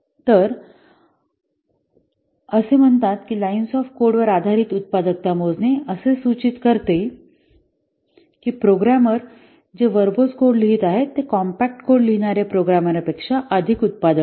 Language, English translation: Marathi, So it says that measure of the productivity based on line shape code is suggest that the programmers who are writing verbose code, they are more productive and than the programmers who write compact code